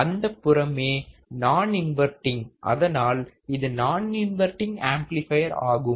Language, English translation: Tamil, That side is non inverting, it is a non inverting amplifier